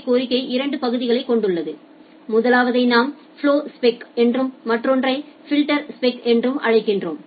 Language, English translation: Tamil, So, a RSVP request it consists of two part; one thing we call as the flowspec and another thing we call as the filterspec